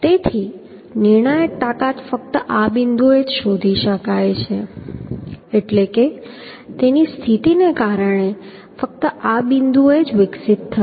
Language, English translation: Gujarati, So critical strength can be found only at this point means will be developed only at this point because of its position